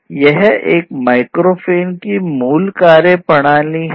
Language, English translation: Hindi, So, this is basically the concept of how a microphone works